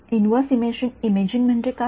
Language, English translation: Marathi, What is meant by inverse imaging